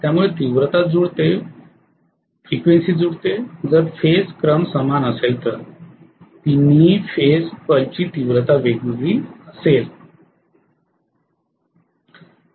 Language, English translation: Marathi, So magnitude is matched, frequency is matched, if the phase sequences are the same the intensity variation of all the 3 phase bulbs will go hand in hand